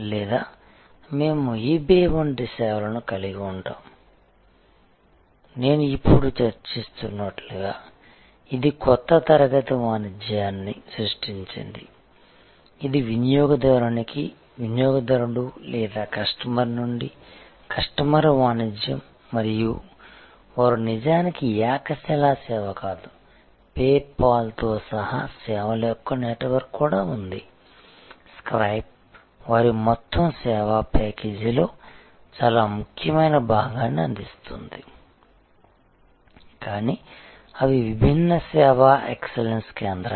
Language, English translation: Telugu, Or we will have services like eBay which is as I was just now discussing created a new class of commerce, which is consumer to consumer or customer to customer commerce and they themselves are not actually a monolithic service, there also a network of services including PayPal, Skype which are providing very important part of their overall service package, but they are different service excellence centres